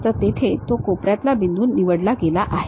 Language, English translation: Marathi, So, it has selected that corner point